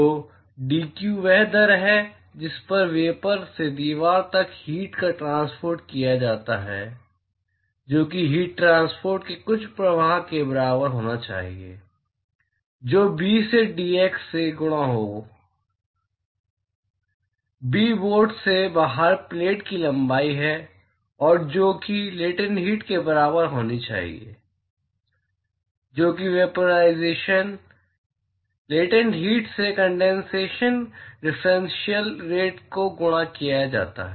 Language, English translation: Hindi, So, dq that is the rate at which the heat is transported from the vapor to the wall that should be equal to some flux of heat transport multiplied by b into dx; b is the length of the plate outside the board and that should be equal to the latent heat multiplied by that is the rate of condensation differential rate of condensation multiplied by the latent heat of vaporization